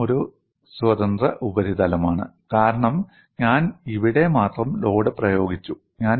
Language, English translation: Malayalam, This is a free surface, this is also a free surface, because I have applied load only here